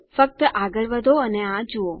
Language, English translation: Gujarati, Just go ahead and watch it